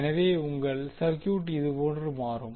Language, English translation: Tamil, So your circuit will become like this